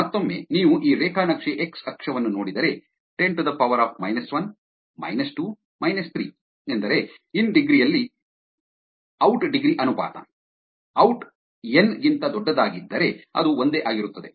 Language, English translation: Kannada, Again, if you see this graph x axis is so, 10 to the power of minus 1, minus 2, minus 3 is where the in degree verses out degree ,when the out is much larger than the n would be the one that are less than 1